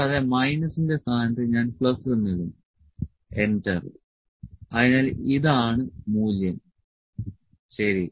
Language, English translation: Malayalam, And in place of minus I will put plus enter, so this is the value, ok